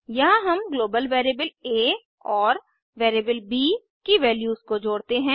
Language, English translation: Hindi, Here we add the values of global variable a and variable b